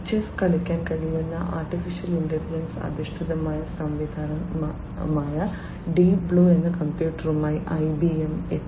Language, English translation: Malayalam, IBM came up with their computer, the Deep Blue, which is a AI based system which can play chess